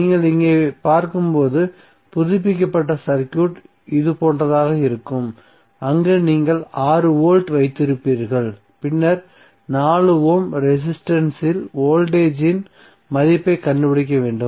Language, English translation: Tamil, So the updated circuit which you will see here would be like this where you will have 6 volt and then need to find out the value of voltage across 4 Ohm resistance